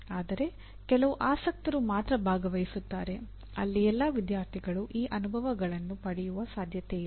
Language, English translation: Kannada, But only a selected, some interested people only will participate where all students are not likely to get these experiences